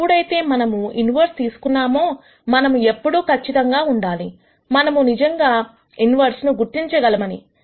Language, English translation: Telugu, Whenever we take inverses we have to always make sure that we can actually identify an inverse